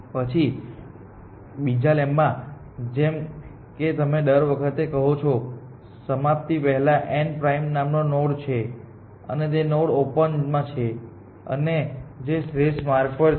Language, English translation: Gujarati, Then the second lemmas you want to says that at all times before termination there exist a node we call this node n prime; and this node is on open and which is on the optimal path